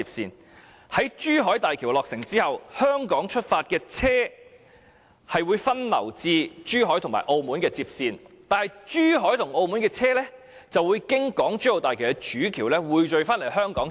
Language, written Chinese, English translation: Cantonese, 日後當珠海大橋落成，由香港出發的車輛將會分流至珠海和澳門接線，但珠海和澳門車輛則會經港珠澳大橋的主橋匯聚到香港接線。, In the future when the Zhuhai Bridge is built vehicles departing from Hong Kong will diverge onto the Zhuhai link road and Macao link road respectively but vehicles departing from Zhuhai and Macao will converge onto HKLR through HZMB Main Bridge